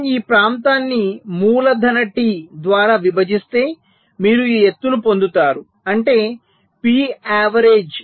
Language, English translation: Telugu, so if we divide this area by capital t, you will be getting this height